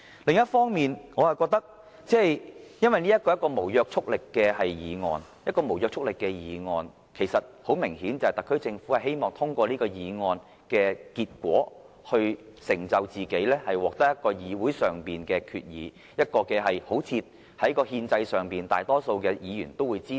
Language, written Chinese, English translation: Cantonese, 另一方面，由於這項議案並無約束力，而特區政府提出這項無約束力議案的原因，很明顯是希望通過議案的結果來成就自己，以期獲得議會通過議案，從而予人一種感覺，令政府在憲制上好像得到大多數議員支持。, Also since this government motion is non - legally binding it is obvious that it must have moved the motion simply because it wants to use the voting outcome on this motion to support its own cause . It hopes that the passage of the motion in the legislature can create an impression that constitutionally the Government has the support of the majority of Members